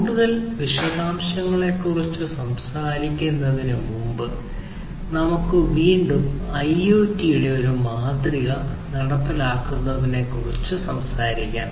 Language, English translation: Malayalam, So, before we talk about, you know, any further detail, let us again, go and talk about talk about a sample implementation of IoT, an IoT implementation